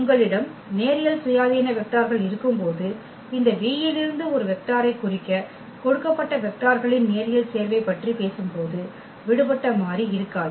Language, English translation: Tamil, And when you have linearly independent vectors there will be no free variable when we talk about that linear combination of the given vectors to represent a vector from this V